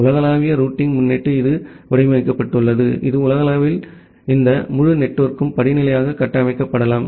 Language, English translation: Tamil, The global routing prefix it is designed such that this entire network globally that can be structured hierarchically